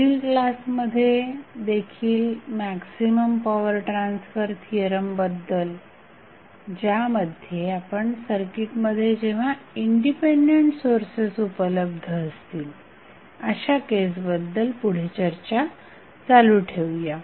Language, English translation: Marathi, We will continue our discussion on maximum power transfer theorem in next class also, where we will discuss that in case the dependent sources available in the circuit